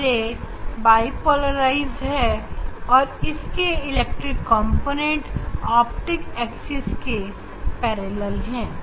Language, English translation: Hindi, E ray is bi polarization, electric component is parallel to the optics axis